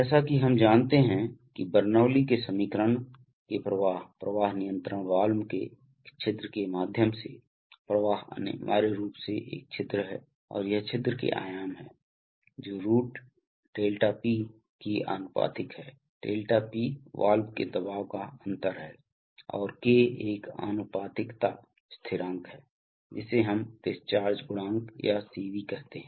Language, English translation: Hindi, As we shall, as we perhaps know that by Bernoulli's equation the flow of a, flow through an orifice of a flow control valve is essentially an orifice and it is the dimensions of the orifice which are varied is proportional to a root over of ΔP, ΔP is the pressure difference across the valve and K is a proportionality constant which contains among other things, what we call a discharge coefficient or Cv